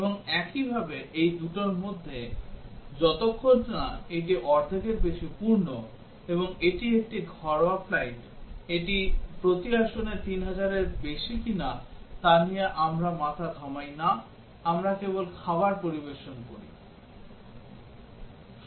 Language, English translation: Bengali, And similarly, between these two, as long as it is more than half full, and it is a domestic flight, we do not bother whether it is a more than 3000 per seat or not, we just serve the meal (Refer Time: 16:26)